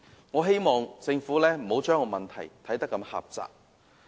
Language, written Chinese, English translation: Cantonese, 我希望政府不要把問題看得如此狹窄。, I hope that the Government will look at the problem from a wider perspective